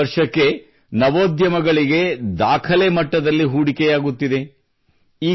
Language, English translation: Kannada, Startups are getting record investment year after year